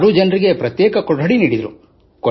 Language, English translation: Kannada, All six of us had separate rooms